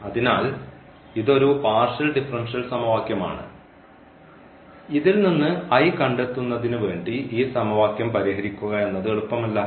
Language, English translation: Malayalam, So, this is a partial differential equation which is not very easy to solve to get this I out of this equations